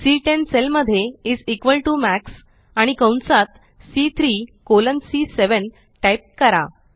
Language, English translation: Marathi, In the cell C10 lets type is equal to MAX and within braces C3 colon C7